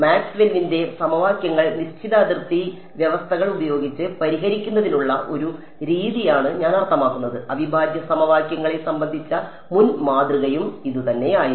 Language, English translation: Malayalam, I mean it is a method of solving Maxwell’s equations with prescribed boundary conditions, which is what the earlier model was also about integral equations was also the same thing